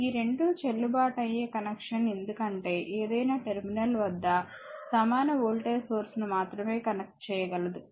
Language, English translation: Telugu, This two are valid connection because any across any terminal, you can only connect the equal voltage source